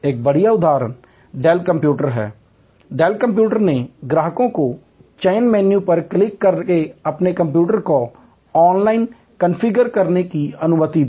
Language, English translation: Hindi, A great example is Dell computer, Dell computer allowed customers to configure their computers online by clicking on selection menus